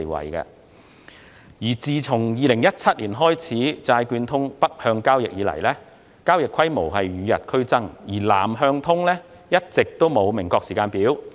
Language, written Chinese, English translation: Cantonese, 自"債券通"北向交易於2017年開通以來，交易規模與日俱增，而"南向通"則一直沒有明確時間表。, Since the launch of Northbound Trading of Bond Connect in 2017 the scale of transaction has been growing whereas no definite timetable has been set for Southbound Trading